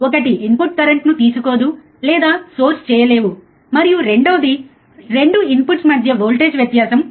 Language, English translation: Telugu, that one is the inputs draw or source no current, and second the voltage difference between 2 input is 0